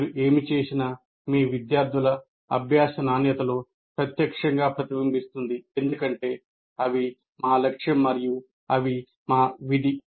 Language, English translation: Telugu, Whatever you do will directly reflect in the quality of learning of your students because that is our, they are our goal, they are our duty